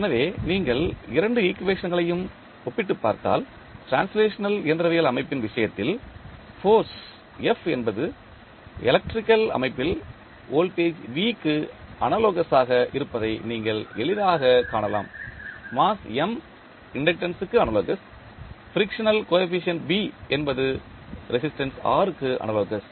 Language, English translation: Tamil, So, if you compare both of the equations, you can easily find out that F that is force in case of translational mechanical system is analogous to voltage V in the electrical system, mass M is analogous to inductance, frictional coefficient that is B is analogous to resistance R